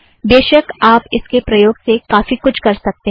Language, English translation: Hindi, Of course you can do a lot of things with this